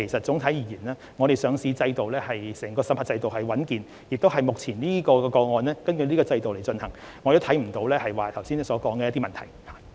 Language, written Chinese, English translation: Cantonese, 整體而言，香港的上市審核制度穩健，目前討論的個案亦同樣據此制度處理，我看不到議員剛才提及的問題。, Overall speaking the listing approval regime in Hong Kong is sound and the case that we are discussing now was handled under the same regime . I fail to see the problem mentioned by the Member